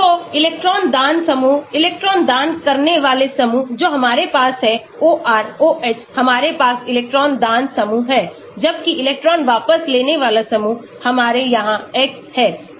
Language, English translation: Hindi, so electron donating groups, the electron donating groups we have then OR, OH we have the electron donating groups, whereas electron withdrawing groups we have here X